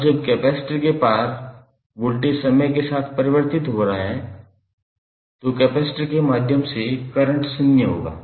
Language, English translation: Hindi, Now, when the voltage across the capacitor is is not changing with respect to time the current through the capacitor would be zero